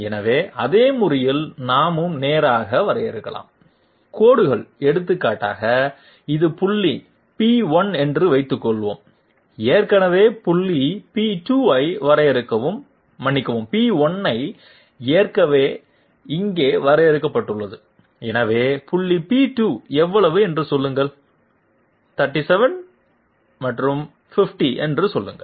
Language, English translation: Tamil, So in the same manner we can also define straight lines for example, suppose this is point P1 already define point P2 sorry P1 is already defined here, so say point P2 is say how much, 37 and say 50